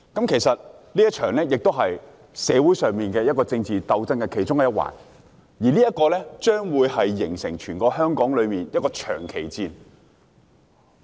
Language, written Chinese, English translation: Cantonese, 其實，這也是社會上政治鬥爭的其中一環，而且，將會成為全香港一場長期戰爭。, Actually this is also one of the aspects of political struggle in society and it will become a prolonged war in Hong Kong